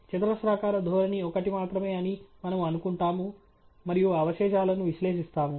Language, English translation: Telugu, We will assume that the quadratic trend is only one and analyse the residuals